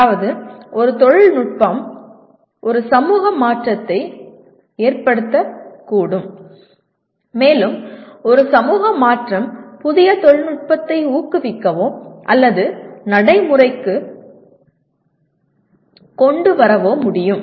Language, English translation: Tamil, That means a technology can cause a societal change and a societal change can encourage or bring new technology into existence